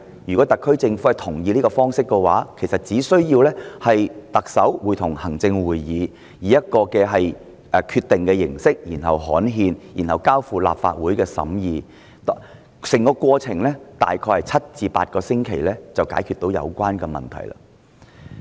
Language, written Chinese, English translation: Cantonese, 如果特區政府同意，其實只須特首會同行政會議作出決定並刊憲，再交付立法會審議，大概7個至8個星期就可以解決有關問題。, Subject to the consent of the SAR Government the Chief Executive in Council shall make a decision and have it published in the Gazette and then scrutinized by the Legislative Council . It will take about seven to eight weeks to tackle the problem